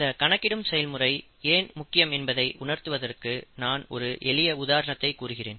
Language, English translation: Tamil, I will give you a very simple example to understand why quantification is important